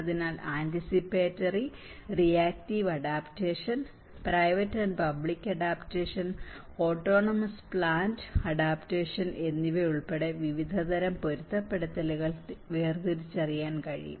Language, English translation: Malayalam, So, various types of adaptation can be distinguished including anticipatory and reactive adaptation, private and public adaptation and autonomous planned adaptation